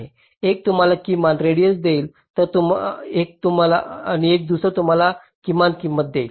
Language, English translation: Marathi, one will give you minimum radius, other will give you minimum cost